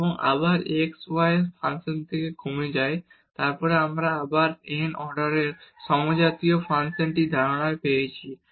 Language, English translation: Bengali, And again the function of x y remain then we again have this the concept of the homogeneous function of order n